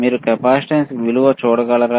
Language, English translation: Telugu, Can you see there is a capacitance value